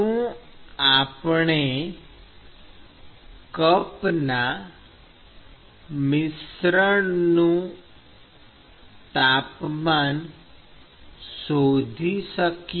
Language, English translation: Gujarati, So, can we find the cup mixing temperature